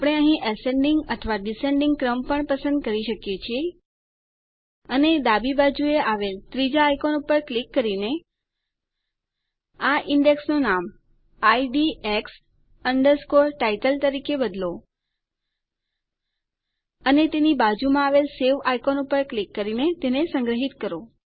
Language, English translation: Gujarati, We can also choose the Ascending or Descending order here and rename this index to IDX Title by clicking on the third icon on the left, and save it using the Save icon next to it